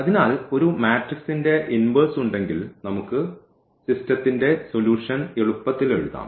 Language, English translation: Malayalam, So, if we have the inverse of a matrix we can easily write down the solution of the system